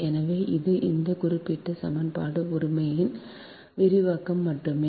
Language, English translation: Tamil, so this is only the expansion of this, of this particular equation, right